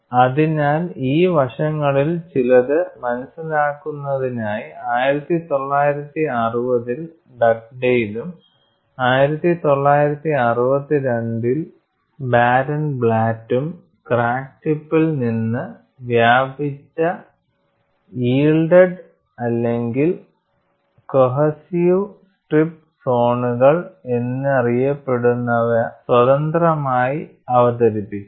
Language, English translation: Malayalam, So, in order to capture some of these aspects Dugdale in 1960, and Barenblatt in 1962 independently introduced what are known as yielded or cohesive strip zones extending from the crack tip